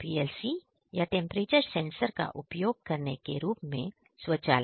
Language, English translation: Hindi, Automation as in using PLC or temperature sensors